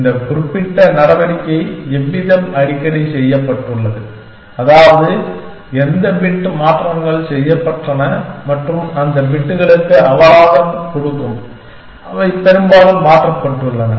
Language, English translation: Tamil, How frequently this particular move has been made, which means which bit has been changes and give a penalty for those bits, which have been change very often